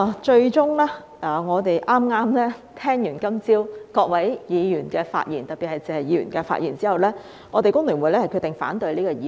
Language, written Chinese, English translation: Cantonese, 最終，在剛才聽畢今早各位議員的發言後——特別是謝議員的發言——我們香港工會聯合會決定反對這項議案。, Finally after listening to Members speeches this morning―especially the speech of Mr TSE―we the Hong Kong Federation of Trade Unions HKFTU decide to oppose this motion